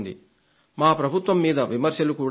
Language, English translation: Telugu, Our government is criticized as well